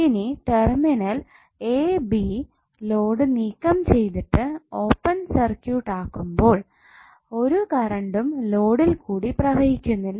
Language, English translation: Malayalam, Now when the terminals a b are open circuited by removing the load, no current will flow through the load